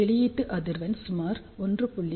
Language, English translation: Tamil, So, output frequency is approximately 1